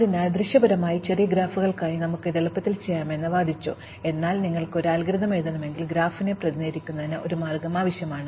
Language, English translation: Malayalam, So, we argued that we could easily do this for small graphs visually, but if you want to write an algorithm, we need a way of representing the graph